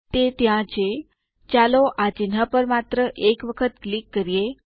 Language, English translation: Gujarati, There it is, let us click just once on this icon